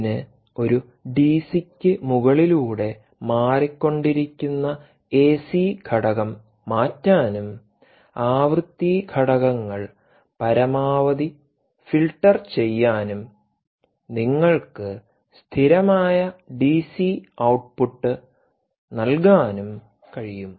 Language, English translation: Malayalam, it can take fluctuating ac ac component riding over a dc and filter out the frequency components as much as possible and give you a stable dc output